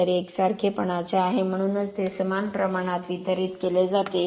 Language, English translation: Marathi, So, it is it is uniformly so it is you are uniformly distributed